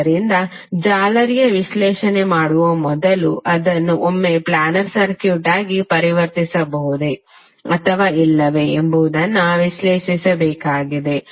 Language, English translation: Kannada, So you need to analyse the circuit once before doing the mesh analysis whether it can be converted into a planar circuit or not